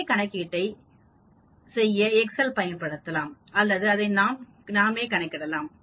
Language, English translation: Tamil, We can use excel also to do the same calculation or we can actually calculate it out also